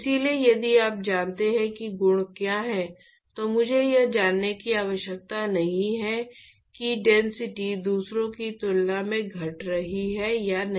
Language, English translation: Hindi, So, if you know what the properties are, I do not need to know whether density is increasing decreasing independent of the others